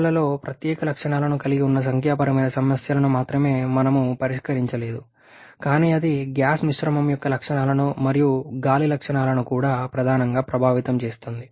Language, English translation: Telugu, Only not solved numerical problems which involve special forces in the components also, but that can also be their which primary affects the properties of the gas mixture and also the properties air